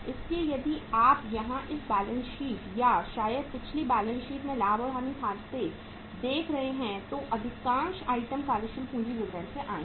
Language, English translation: Hindi, So if you are seeing here this balance sheet or maybe the profit and loss account in the previous sheet here most of the items have come from the working capital statement